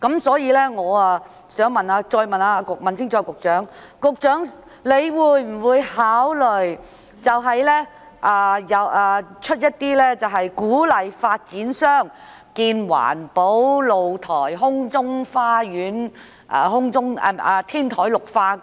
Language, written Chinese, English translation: Cantonese, 所以，我想再問清楚局長，會否考慮推出一些政策，鼓勵發展商興建環保露台、空中花園，以及進行天台綠化？, Therefore I would like to ask the Secretary again whether he will consider introducing some policies to encourage developers to build green balconies and sky gardens as well as to green the roofs